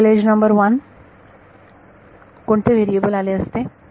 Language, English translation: Marathi, Global edge number 1, what all variables would have come